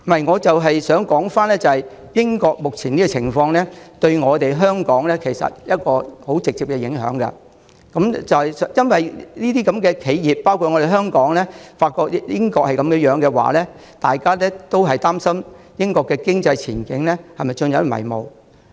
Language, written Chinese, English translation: Cantonese, 我正想指出，英國目前的情況對香港有十分直接的影響。因為當英國那些企業——還有香港的企業——發覺英國現在的情況不明朗，便會擔心英國經濟前景陷入迷霧。, I am about to make my point . The current state of affairs in Britain has a very direct impact on Hong Kong because when the British enterprises―and Hong Kong enterprises also―find the current situation in Britain uncertain they will worry whether the economic prospect of Britain becomes bleak